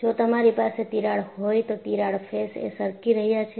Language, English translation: Gujarati, And, if you have the crack, the crack surfaces are sliding